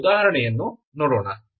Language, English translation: Kannada, Let us see that example